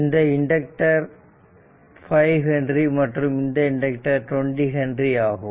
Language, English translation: Tamil, And this inductor is 5 henry this is 20 henry